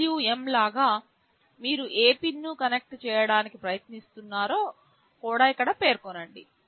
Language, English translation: Telugu, Here also you specify which pin you are trying to connect to just like PWM